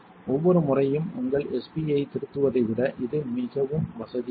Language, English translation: Tamil, This is more convenient than editing your SP each time